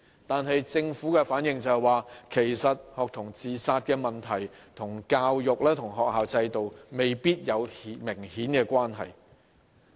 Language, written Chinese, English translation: Cantonese, 然而，政府回應時卻表示，學童自殺問題與教育和學校制度未必有明顯關係。, However the Government has stated in response that there may not be an obvious relationship between the student suicide problem and the education and school systems